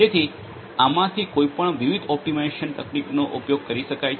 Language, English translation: Gujarati, So, any of these could be used different optimization techniques could be used